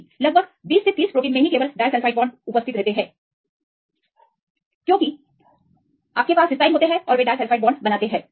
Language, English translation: Hindi, No, approximately 20 30 proteins only we have the disulfide bonds because you have cysteines and they form disulfide bonds